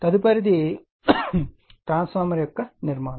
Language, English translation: Telugu, Next is the little bit of construction of the transformer